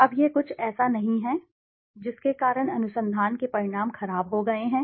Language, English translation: Hindi, Now this is something not this is why research outcomes have become poor